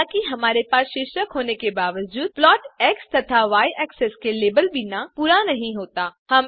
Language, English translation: Hindi, Although we have title, the plot is not complete without labelling x and y axes